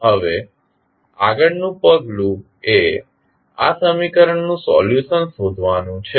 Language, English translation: Gujarati, Now, the next step is the finding out the solution of these equation